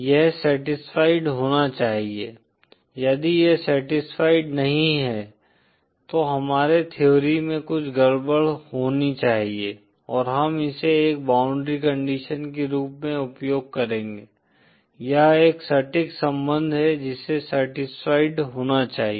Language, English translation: Hindi, This must be satisfied, if this is not satisfied then there must be something wrong with our theory & we shall use it as a boundary condition, this is an exact relationship which must be satisfied